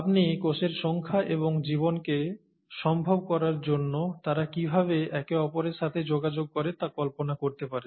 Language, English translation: Bengali, So you can imagine the number of cells and how they interact with each other to make life possible